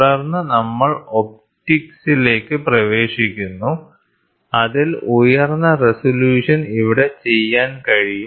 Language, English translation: Malayalam, And then we get into optics, wherein which a high resolution can be done here